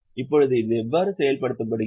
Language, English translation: Tamil, Now, how is this executed